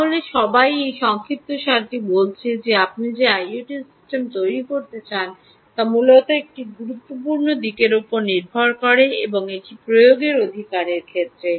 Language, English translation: Bengali, so all this in summary says that your i o t system that you want to build depends largely on one important aspect, and that is with respect to application right